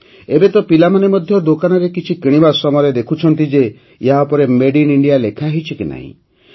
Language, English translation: Odia, Now even our children, while buying something at the shop, have started checking whether Made in India is mentioned on them or not